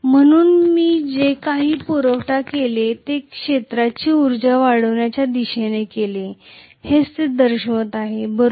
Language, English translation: Marathi, So whatever I supplied the entire thing went towards increasing the field energy, that is what it is indicating, right